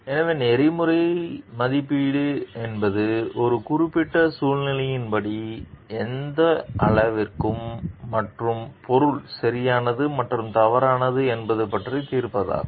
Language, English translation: Tamil, So, ethical evaluation is a judgment about the extent to which and the object is like right and wrong as per a particular situation